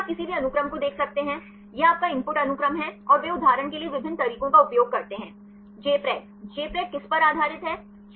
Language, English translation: Hindi, First you can see any sequence; this is your input sequence and they use different methods for example, Jpred; Jpred is based on what